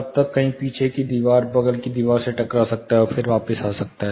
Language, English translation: Hindi, Then it may go hit somewhere in the rear wall, side wall, and then it can come back